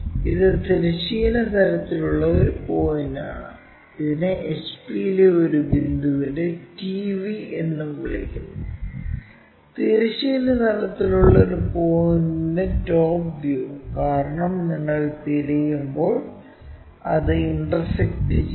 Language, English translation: Malayalam, And this is a point on horizontal plane, and it is called TV of a point in HP also; top view of a point in horizontal plane, because it is intersecting when you are looking for